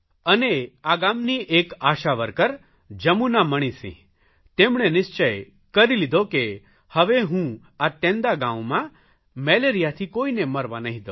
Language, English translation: Gujarati, The ASHA worker Jamuna Manisingh decided that she will not let anyone die of malaria